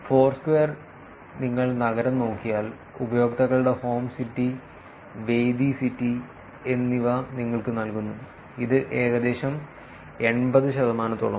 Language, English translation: Malayalam, Foursquare, if you look at city, city gives you the users' home city and venue city; it is about close to eighty percent